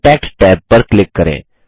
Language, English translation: Hindi, Click the Contact tab